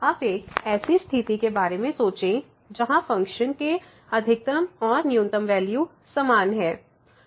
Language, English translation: Hindi, Now, think about the situation, then the where the function is having maximum and the minimum value as same